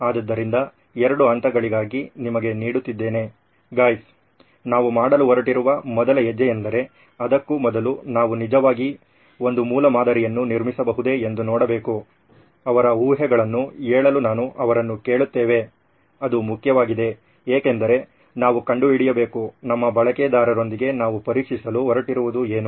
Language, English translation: Kannada, So over to you guys for the two steps for the first step we are going to do, is to see if we can actually build a prototype before that I will ask them to state their assumptions, that is important because we need to find out what it is that we are going to test with our users